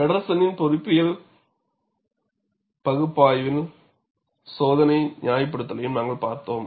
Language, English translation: Tamil, And we have also looked at the experimental justification of the engineering analysis by Feddersen